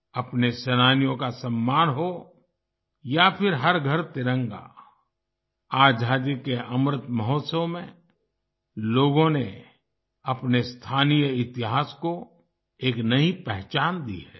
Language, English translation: Hindi, Be it honouring our freedom fighters or Har Ghar Tiranga, in the Azadi Ka Amrit Mahotsav, people have lent a new identity to their local history